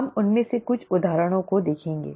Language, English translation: Hindi, We will see a couple of examples of those